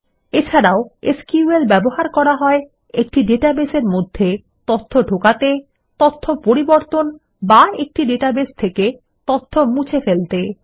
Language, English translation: Bengali, SQL can also be used for inserting data into a database, updating data or deleting data from a database